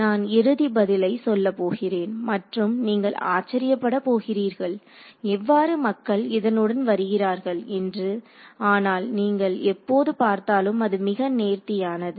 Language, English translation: Tamil, So, I am going to tell you the final answer and you will wonder how did people come up with it, but you will see when you see it, it is very elegant